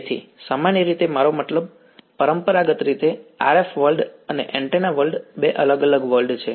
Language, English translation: Gujarati, So, normally I mean traditionally what has the RF world and the antenna world are two different worlds right